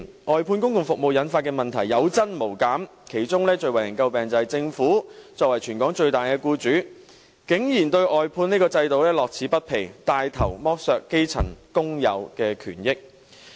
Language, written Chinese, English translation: Cantonese, 外判公共服務引發的問題有增無減，其中最為人詬病的是，政府作為全港最大僱主，竟然對外判制度樂此不疲，帶頭剝削基層工友的權益。, Problems caused by the outsourcing of public services have increased instead of decreasing . Among them the most scathing criticism is that the Government being the largest employer in Hong Kong is so addicted to the outsourcing system that it has taken the lead to deprive grass - roots workers of their rights and interests